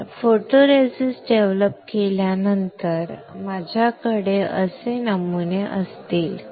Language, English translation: Marathi, So, after developing photoresist I will have patterns like this